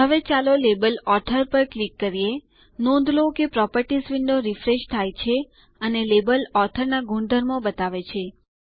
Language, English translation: Gujarati, Now let us click on the label author, notice that the Properties window refreshes and shows the properties of label Author